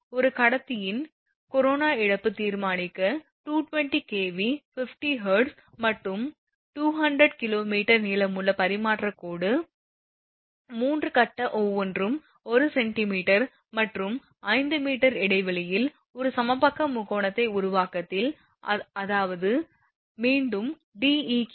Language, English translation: Tamil, Determine the corona loss of a 3 phase 220 kV 50 hertz and 200 kilometre long transmission line of 3 conductor each of radius 1 centimetre and spaced 5 meter apart in an equilateral triangle formation; that means, again D eq will be 5 meter